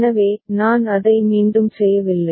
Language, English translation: Tamil, So, I am not doing it again